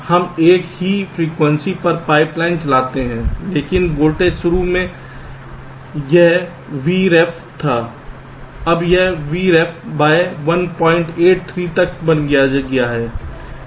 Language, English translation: Hindi, we run the pipe line at the same frequency but the voltage, initially it was v ref, now it has become v ref by one point eight, three